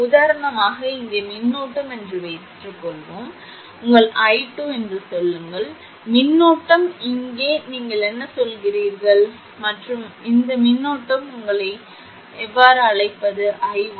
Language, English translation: Tamil, Suppose current here for example, say it is say your i 2, current here you say it here i 1 dash and this current is your what you call i 1